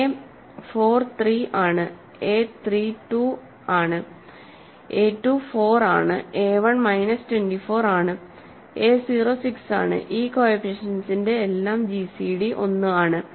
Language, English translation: Malayalam, So, a a 4 is 3, a 3 is 2, a 2 is 4, a 1 is minus 24, a 0 is 6, the gcd is all this coefficients is 1